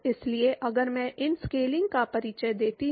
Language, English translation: Hindi, So, if I introduce these scaling